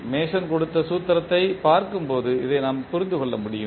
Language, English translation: Tamil, So this we can understand when we see the formula which was given by Mason